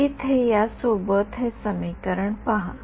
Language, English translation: Marathi, With this over here look at this equation over here